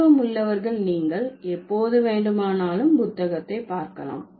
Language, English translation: Tamil, Those who are interested, you can always refer to the book